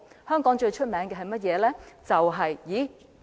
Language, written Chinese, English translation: Cantonese, 香港最著名的是甚麼？, What is Hong Kong most famous for?